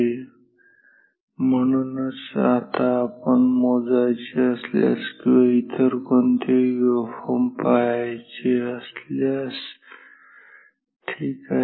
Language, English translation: Marathi, And, so now if you just want to measure or see any other waveform ok